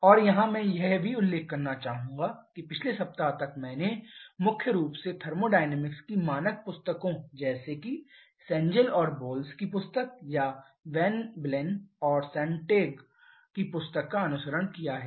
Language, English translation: Hindi, And here I would also like to mention that in our till the previous week I have primarily followed the standard books of thermodynamics like the book of Senegal and Boles or the book of Van Wylen and Sonntag